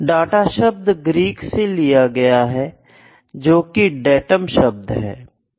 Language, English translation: Hindi, So, this has come from the Greek word datum